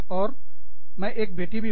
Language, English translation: Hindi, And, i am also a daughter